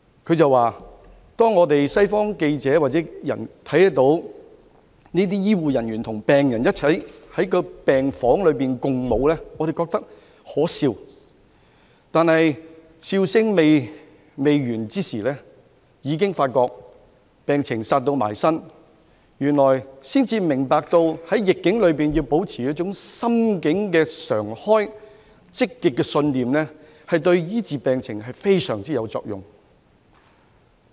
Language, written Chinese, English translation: Cantonese, 他說當他們這些西方記者或人民看到這些醫護人員與病人一起在病房內共舞，他們覺得可笑，但笑聲未完便已發覺病毒"殺到埋身"，這時才明白到原來在逆境中保持心境開放和積極信念，對醫治病情非常有用。, He said that reporters or people in the West like himself found it laughable when they saw these health care workers and patients dancing in the wards . But no sooner had their laughter subsided than they became aware of the imminence of the virus . Only then did they realize the importance of having an open mind and thinking positively in the face of the epidemic for this is most useful to the process of treatment